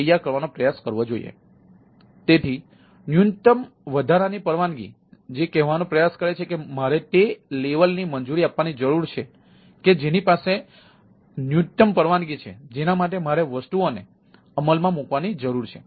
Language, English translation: Gujarati, so minimal excess permission which it tries to say that i need to, given that level of permission, which, that minimal set of permission which i need to, which is the which is required to execute the things